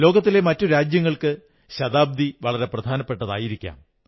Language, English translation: Malayalam, For other countries of the world, a century may be of immense significance